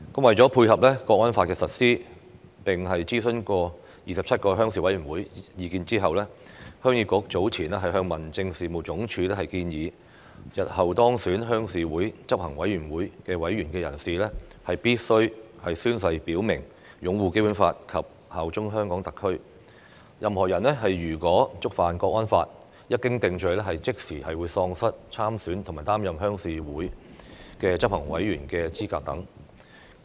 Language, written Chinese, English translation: Cantonese, 為配合《香港國安法》實施，經諮詢27個鄉事會的意見後，鄉議局早前向民政事務總署提出修訂建議，日後當選鄉事會執行委員會委員的人士，必須宣誓表明擁護《基本法》及效忠香港特區；任何人如果觸犯《香港國安法》，一經定罪後，便即時喪失參選及擔任鄉事會執行委員的資格等。, To dovetail with the implementation of the National Security Law Heung Yee Kuk has after consulting the 27 Rural Committees put forth an amendment proposal to the Home Affairs Department earlier requiring a person who is elected as a member of the Executive Committee of the Rural Committee to take an oath to uphold the Basic Law and bear allegiance to HKSAR . Any person who contravenes the National Security Law shall upon conviction be disqualified from standing for election and serving as an Executive Committee member of the Rural Committee